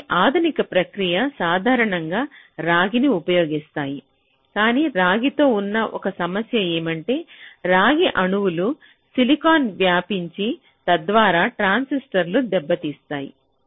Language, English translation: Telugu, but one problem with copper is that the copper atoms they tend to diffuse into silicon, thereby damaging the transistor